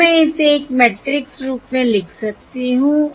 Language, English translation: Hindi, okay, now, writing it in matrix form, I have Again